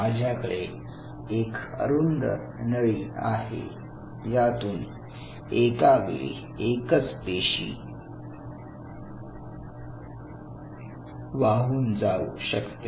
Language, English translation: Marathi, So, I have something like this a very narrow tube through which only one cell at a time can flow